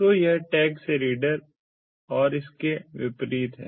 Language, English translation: Hindi, so from the tag to the reader and vice versa, so on the other hand